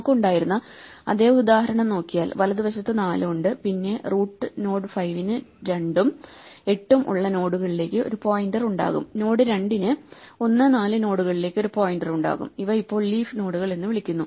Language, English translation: Malayalam, If we look at the same example that we had 4 on the right then the root node 5 will have a pointer to the nodes with 2 and 8, the node 2 will have a pointer to the nodes 1 and 4, these are now what are called leaf nodes